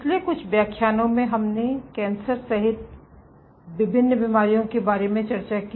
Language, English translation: Hindi, In the last few lectures we discussed about various diseases including cancer ok